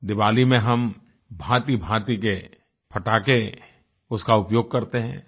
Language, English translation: Hindi, In Diwali we burst fire crackers of all kinds